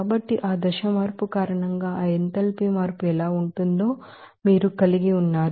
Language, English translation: Telugu, So, you are having that how that enthalpy change will be there because of that phase change